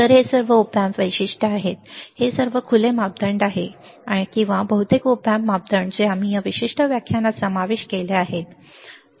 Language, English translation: Marathi, So, these are all the opamp specifications, these are all the open parameters or most of the opamp parameters that we have covered in this particular lecture, alright